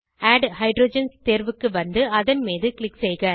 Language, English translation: Tamil, Scroll down to add hydrogens option and click on it